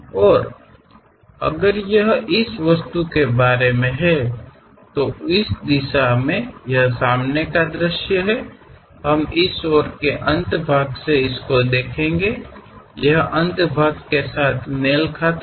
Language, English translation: Hindi, And if it is about this object, having a front view in this direction; we will represent this end, this end matches with this